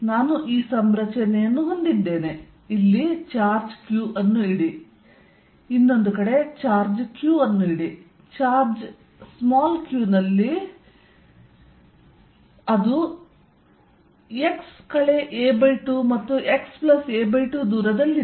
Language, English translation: Kannada, I have this configuration charge Q here, charge Q here, charge q here at a distance x a by 2 a by 2